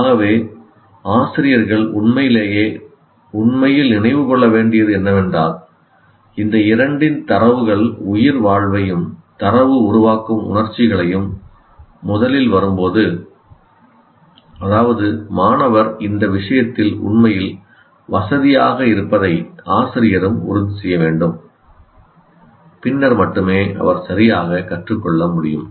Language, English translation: Tamil, So this is what teachers should really, really remember that if data from these two affecting survival and data generating emotions, when it comes first, that means teacher should also make sure that the student actually feels comfortable with respect to this, then only he can learn properly